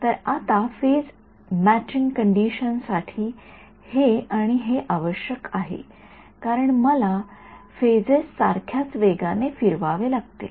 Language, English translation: Marathi, So, now phase matching condition required this and this right because the phases I have to rotate at the same speed ok